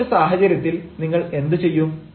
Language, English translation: Malayalam, so, in such a way, what will do